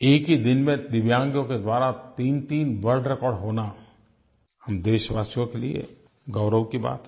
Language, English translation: Hindi, Three world records in a single day by DIVYANG people is a matter of great pride for our countrymen